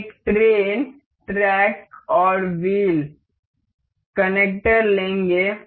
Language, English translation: Hindi, Here, we have a rail track, a wheel and a wheel holder